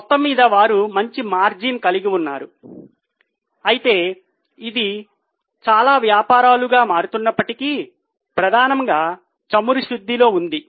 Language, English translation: Telugu, Overall, they have a good margin, although it is changing over a period of time, they are into several businesses but mainly in oil refining